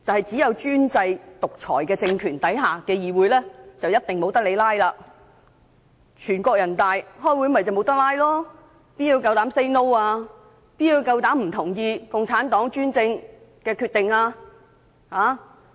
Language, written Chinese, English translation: Cantonese, 只有專制獨裁政權下的議會才一定不准"拉布"，正如全國人民代表大會開會便不能"拉布"，試問誰敢說不，誰敢不同意共產黨的專政決定？, Only parliaments under despotic and autocratic rule do not allow the staging of filibustering and the National Peoples Congress NPC is an example . Who would dare to say no at meetings of NPC and who would dare to indicate disagreement with the autocratic decisions made by the Chinese Communist Party?